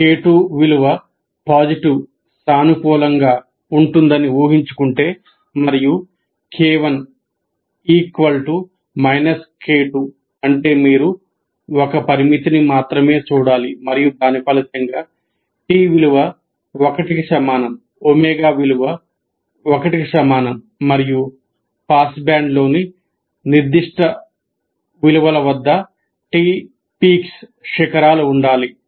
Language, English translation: Telugu, And let us assume k2 is to be positive and k1 equal to minus k2 that means you need to look at only one parameter and which should result t equal to 1 at omega equal to 1 and t peaks at certain values within the what we call pass band and the whole thing is expressed in terms of one epsilon